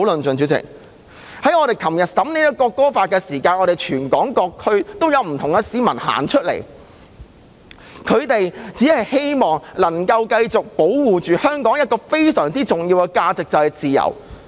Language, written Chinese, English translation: Cantonese, 主席，我們昨天審議《條例草案》的時候，全港各區都有不同市民上街，只希望能夠繼續保護香港一個非常重要的價值，即自由。, President when we scrutinized the Bill yesterday people in various districts of Hong Kong took to the streets with the hope of continuing to safeguard a very important value of Hong Kong namely freedoms